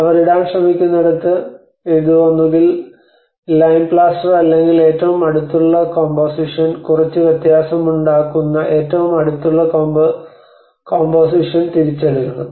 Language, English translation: Malayalam, Where they try to put this either lime plaster or but the nearest composition we should take back at least the nearest composition that will make some difference